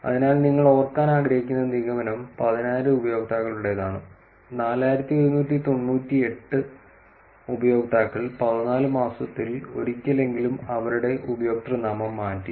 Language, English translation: Malayalam, So, the conclusion that you want to remember is 10,000 users, 4,198 users changed their username at least once in 14 months